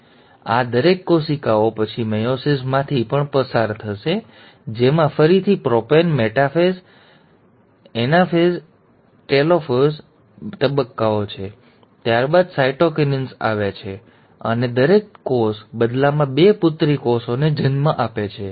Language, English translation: Gujarati, Then, each of these cells will then further undergo meiosis too, which again has its stages of prophase, metaphase, anaphase, telophase, followed by cytokinesis, and an each cell in turn give rise to two daughter cells